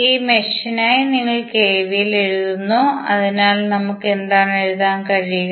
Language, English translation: Malayalam, We will write KVL for this mesh, so what we can write